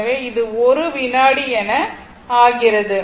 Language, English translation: Tamil, So, it is becoming 1 second